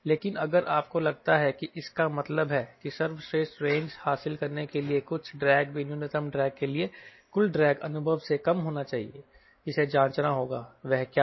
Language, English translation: Hindi, but if you think here, it means the total drag to achieve best range will also be less than total drag experience for minimum drag